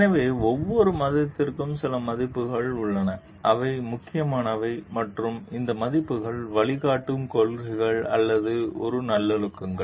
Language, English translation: Tamil, So, every religion has like certain values which are important and these values are the guiding principles or a virtues